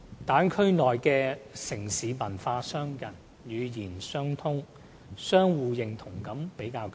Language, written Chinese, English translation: Cantonese, 大灣區內的城市文化相近、語言相通，相互認同感比較強。, As a result of cultural affinity and a common language there is a stronger sense of common identity in Bay Area cities